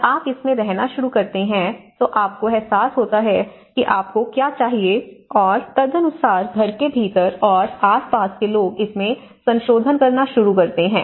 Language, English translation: Hindi, When you start living in it, you realize that you know, what you need and accordingly people start amending that, not only within the house, around the house